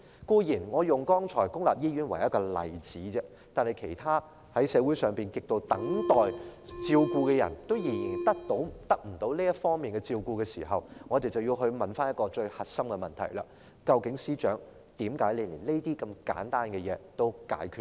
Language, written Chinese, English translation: Cantonese, 當然，我剛才只是以公立醫院為例子而已，社會上還有其他亟待照顧的人仍得不到相關照顧，所以，我們要問最核心的問題：究竟司長為何連這些簡單的問題也解決不了？, As a matter of fact I have just taken public hospitals as an example and there are other needy people in society who are still uncared for . Therefore we have to ask the very core question why is the Secretary unable to solve even such simple problems?